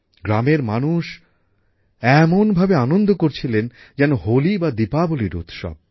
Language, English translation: Bengali, The people of the village were rejoicing as if it were the HoliDiwali festival